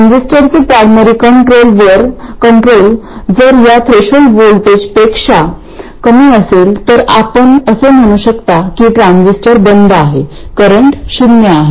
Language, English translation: Marathi, Primary control for the transistor, if it is less than this threshold voltage, you can say that the transistor is off, the current is 0